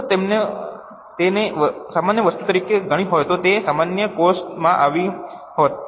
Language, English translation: Gujarati, If they would have treated as a normal item, it would have come in the normal expenses